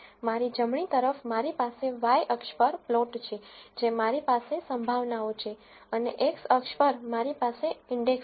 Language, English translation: Gujarati, On to my right I have the plot on the y axis I have the probabilities and on the x axis I have the index